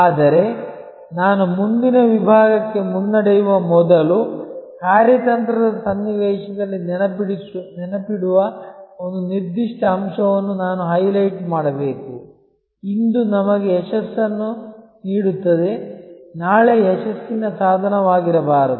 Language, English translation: Kannada, But, when before I progress to the next section, I must highlight one particular point to remember in the strategic context, that what gives us success today, may not be the tool for success tomorrow